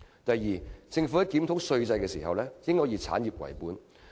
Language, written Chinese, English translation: Cantonese, 第二，政府在檢討稅制時應以產業為本。, Secondly the Government must review the tax system from the perspective of industries